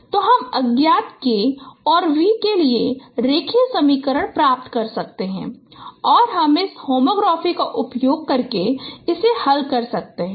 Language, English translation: Hindi, So you can get linear equations for unknowns K and V and that you can solve using this home graph